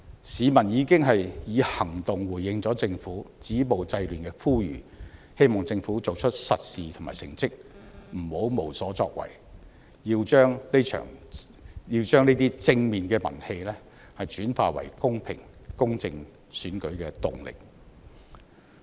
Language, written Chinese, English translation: Cantonese, 市民已經以行動回應政府止暴制亂的呼籲，希望政府做出實事和成績，不要無所作為，要把這些正面的民氣轉化為公平、公正的選舉動力。, The people have responded to the appeal made by the Government with actions . I hope the Government will not end up accomplishing nothing but will do something concrete and produce results by turning these positive public sentiments into moves towards a fair and just election